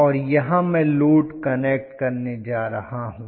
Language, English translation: Hindi, And, here is where I am going to connect the load